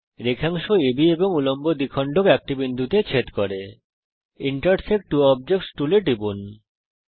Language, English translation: Bengali, Segment AB and Perpendicular bisector intersect at a point,Click on Intersect two objects tool